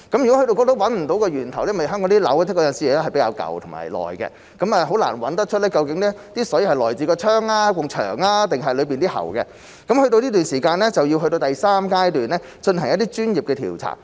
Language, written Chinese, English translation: Cantonese, 如果找不到源頭，香港的樓宇有時是比較老舊，很難找出水是來自窗、牆還是裏面的喉管，去到這個時間，就要去到第三階段，進行一些專業調查。, If the source cannot be identified―as buildings in Hong Kong are often quite old it is difficult to ascertain whether the water comes from the windows walls or pipes inside―it is then necessary to go to the third stage of professional investigation